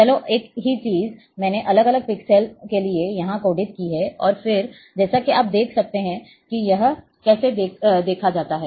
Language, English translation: Hindi, Let’s, the same, same thing I have been, I have coded here, for different pixels, and as you can see this is how it is seen